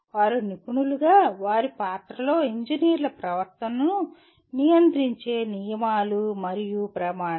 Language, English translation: Telugu, They are rules and standards governing the conduct of engineers in their role as professionals